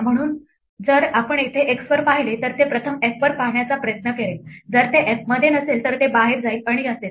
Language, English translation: Marathi, So, if we look up an x here it will first try to look up f, if it is not there in f it will go outside and so on